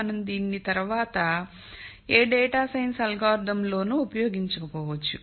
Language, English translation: Telugu, Now for this course we might not be using this later in any data science algorithm